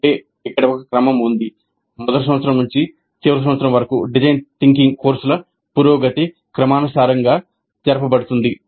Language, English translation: Telugu, That means there is a sequence, a progression of design thinking courses right from first year through final year